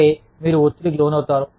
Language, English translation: Telugu, Which means that, you are under stress